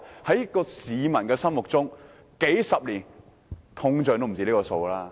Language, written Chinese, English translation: Cantonese, 在市民心目中，數十年通脹已超出賠償金額。, However people are well aware that inflation over the decades has diminished the value of compensation